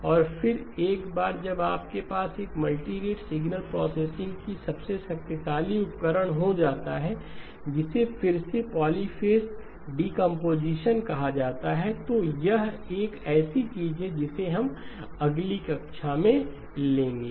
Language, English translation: Hindi, And then once you have that it leaves to probably the most powerful tool of multirate signal processing which is called polyphase decomposition again, that is something that we will pick it up in the next class